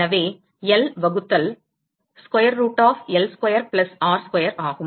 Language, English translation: Tamil, So, it is L by square root of L square plus r square